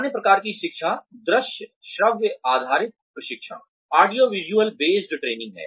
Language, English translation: Hindi, The other type of learning is, audiovisual based training